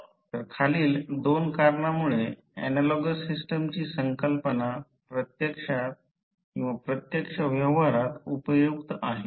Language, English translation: Marathi, So, the concept of analogous system is useful in practice because of the following 2 reasons